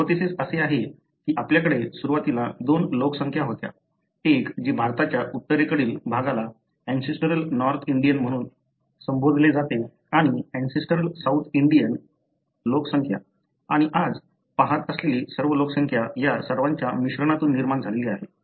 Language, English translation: Marathi, The hypothesis is that we have had two population to begin with, one what is called as ancestral North Indian on the Northern part of India and ancestral South Indian population and all the population that you, say, see today are all derived from the mixture of these two